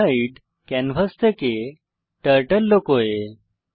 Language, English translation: Bengali, spritehide hides Turtle from canvas